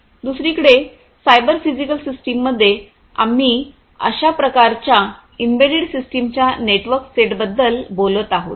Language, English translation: Marathi, On the other hand in a cyber physical system, we are talking about a network set of such kind of embedded systems